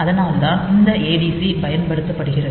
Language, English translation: Tamil, So, that is why this adc is used